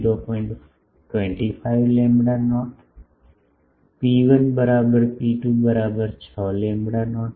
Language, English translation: Gujarati, 25 lambda not rho 1 is equal to rho 2 is equal to 6 lambda not